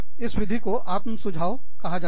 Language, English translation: Hindi, This method is called autosuggestion